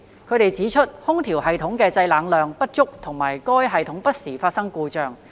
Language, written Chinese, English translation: Cantonese, 他們指出，空調系統的製冷量不足和該系統不時發生故障。, They have pointed out that the cooling capacity of the air - conditioning system is insufficient and the system breaks down from time to time